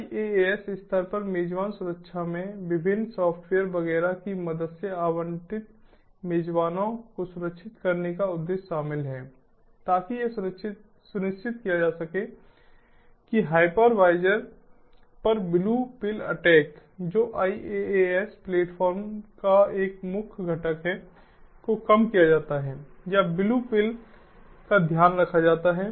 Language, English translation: Hindi, host security at iaas level include the objective of securing the allocated hosts with the help of different software, etcetera, to ensure that attacks such as the blue pill attack on the hypervisor, which is a core component of iaas platforms, is mitigated or is taken care of